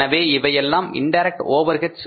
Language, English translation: Tamil, So what are the indirect overheads